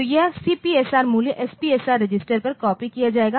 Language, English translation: Hindi, So, this CPSR value will be copied on to SPSR register